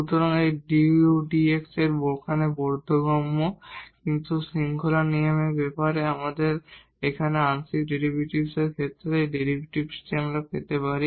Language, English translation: Bengali, So, this du over dx make sense here, but with the rule with the idea of this chain rule we can get that derivative in terms of the partial derivatives here